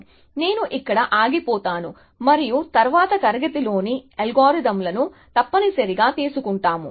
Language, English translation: Telugu, So, I will stop here and then we will take those algorithms of in the next class essentially